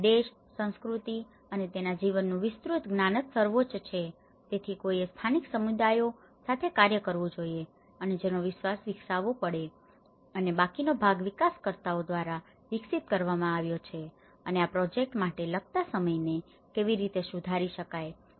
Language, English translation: Gujarati, And extensive knowledge of the country, culture and its life is a paramount, so one has to work with the local communities the trust has to be developed and only a part of it has been developed in the remaining part has been developed by the users and how to optimize the time taken to carry out the project